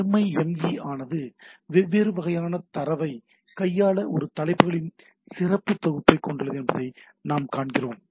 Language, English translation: Tamil, So, what we see that MIME also has a rich set of a headers to handle different kind of data